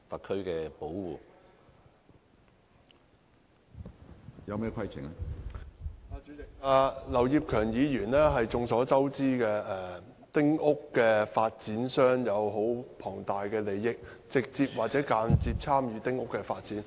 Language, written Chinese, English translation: Cantonese, 主席，眾所周知，劉業強議員是丁屋發展商，涉及十分龐大的利益，並且直接或間接參與丁屋發展。, President as we all know Mr Kenneth LAU is a small house developer who has huge interests and has directly or indirectly participated in small house developments